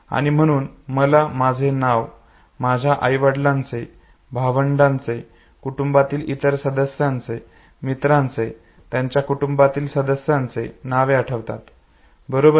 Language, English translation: Marathi, And therefore when I remember my name, the name of my parents, siblings, other members of the family, friends, their family members okay